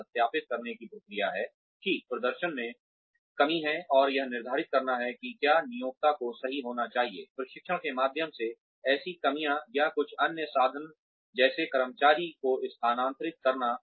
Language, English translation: Hindi, It is the process of verifying that, there is a performance deficiency, and determining, whether the employer should correct, such deficiencies through training, or some other means like, transferring the employee